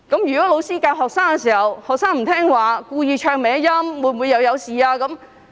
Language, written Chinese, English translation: Cantonese, 如果老師教導學生時，學生不聽話，故意走音，那會否出事呢？, Even if the teachers have done their part in teaching but the students do not listen to the teachers and deliberately sing out of tune will there be any trouble?